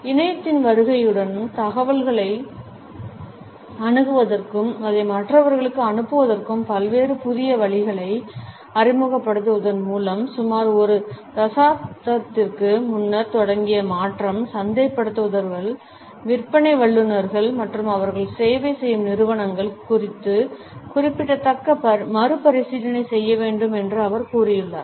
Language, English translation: Tamil, And he also suggests that the transition that had started about a decade ago with the arrival of the internet and the introduction of various new ways of accessing information and passing it onto others, required a significant rethinking on the people of marketers, sales professionals and the organisations they serve